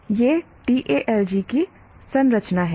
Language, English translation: Hindi, Now let us look at the structure of this TALG